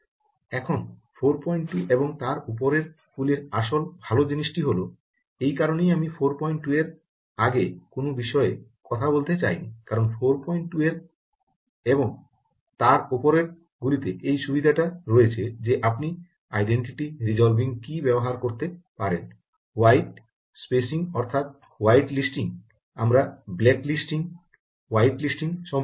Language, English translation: Bengali, now, the real good thing about four point two and above that s the reason i did not want to talk about anything prior to four point two is because four point two has this and and above has this advantage that you can use this ah identity resolving key ah, along with white spacing, ah, white listing